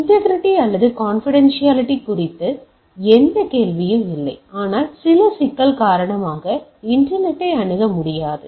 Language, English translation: Tamil, There is no question of integrity or confidentiality, but the internet is not accessible due to some problem, right